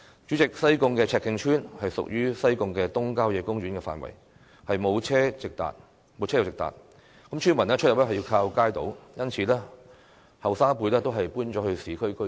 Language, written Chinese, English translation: Cantonese, 主席，西貢赤徑村屬於西貢東郊野公園的範圍，沒有車路直達，村民出入需要依靠街渡，因此年輕一輩都已搬往市區居住。, President Chek Keng Village in Sai Kung forms part of the Sai Kung East Country Park . Since there is no direct vehicular access to the village villagers rely on kaito ferry service for access hence the younger generation has moved out to live in urban areas